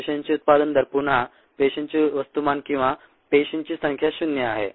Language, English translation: Marathi, the rate of output of cells again mass of cells or number of cells is zero